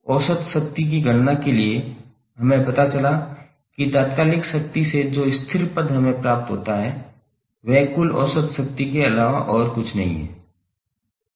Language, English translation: Hindi, For calculation of average power we came to know that the constant term which we get from the instantaneous power is nothing but the total average power